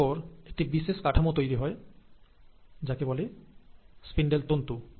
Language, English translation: Bengali, And then, there is a special structure formation taking place called as the spindle fibres